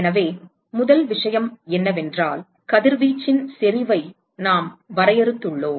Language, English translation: Tamil, So, the first thing is that we defined intensity of radiation